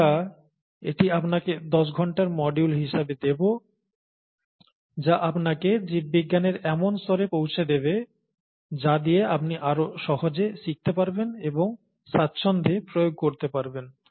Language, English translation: Bengali, Okay, we’ll give this to you as a ten hour module, and that would equip you with some level of biology with which you can learn further with ease and also start applying with ease